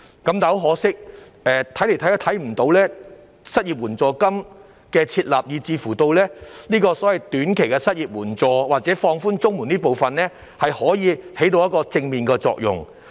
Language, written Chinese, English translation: Cantonese, 但很可惜，怎麼看也看不到失業援助金的設立，以至所謂的短期失業援助或放寬綜援這方面，可以起到甚麼正面作用。, But regrettably we do not see an unemployment assistance being established despite a long wait or what positive effect can be achieved by the so - called short - term unemployment assistance or relaxation of the CSSA thresholds